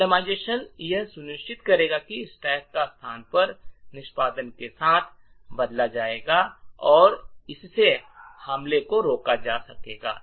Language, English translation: Hindi, The randomization would ensure that the location of the stack would be changed with every execution and this would prevent the attack